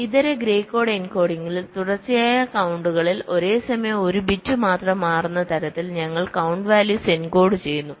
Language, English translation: Malayalam, ok, so in the alternate grey code encoding we are encoding the count values in such a way that across successive counts, only one bit is changing at a time